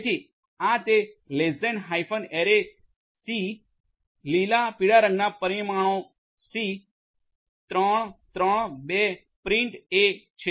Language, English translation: Gujarati, So, this is how to do it a less than hyphen array c green, yellow dimension equal to c 3, 3, 2 print a